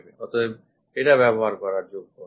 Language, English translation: Bengali, So, this one should not be used